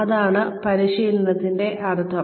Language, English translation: Malayalam, That is what training means